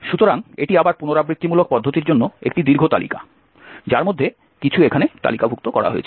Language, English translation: Bengali, So it is again a long list for iterative method some of them are listed here